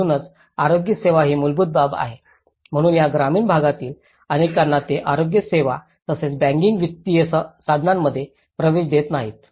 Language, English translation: Marathi, So, health care which is a fundamental aspect so many of these rural set ups they are not often access to the health care and as well as the banking financial instruments